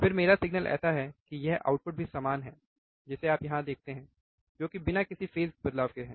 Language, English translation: Hindi, Then my signal is like this output is also similar which you see here which is without any phase shift